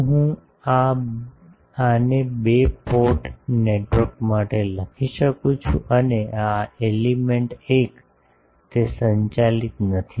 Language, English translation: Gujarati, Can I write this for a two port network and, and this element 1, it is not driven